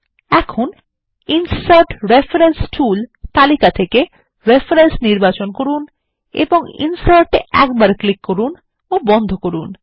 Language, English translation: Bengali, Now choose Reference in the Insert reference tool list and click on Insert once and close